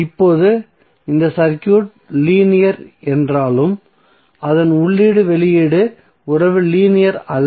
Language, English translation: Tamil, So now these, although this circuit may be linear but its input output relationship may become nonlinear